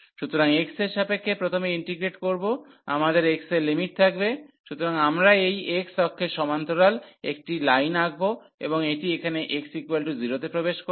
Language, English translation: Bengali, So, for integrating first with respect to x, we will have the limits for the x, so we will draw a line parallel to this x axis and that enters here x is equal to 0